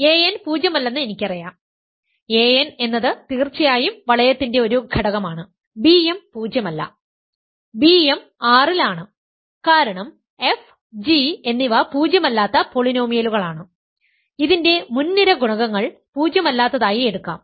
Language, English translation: Malayalam, And I know that a n is non zero; a n is an element of the ring of course, b m is non zero, b m is in R because f and g are non zero polynomials that leading coefficients will take to be non zero